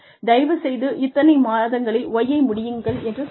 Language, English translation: Tamil, So, please finish X in so many months, please finish Y in so many months